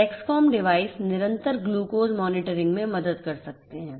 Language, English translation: Hindi, Dexcom devices can help in continuous glucose monitoring